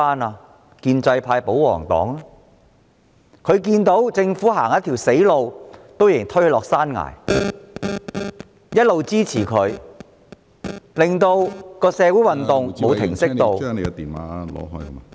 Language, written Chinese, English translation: Cantonese, 是建制派和保皇黨，因為他們看見政府走上一條死路，卻仍推波助瀾，一直給予支持，令社會運動無法停息......, The pro - establishment camp and the royalist camp have done so because despite seeing the Government go into a dead end they still offer their encouragement and support making it not possible to pacify the social movement